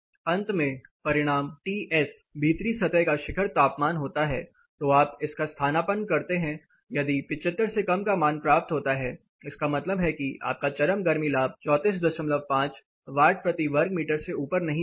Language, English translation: Hindi, Finally, the result is ts surface inside peak, so you substitute this if you are able to get less than 75 it means you are peak heat gain will not go above 34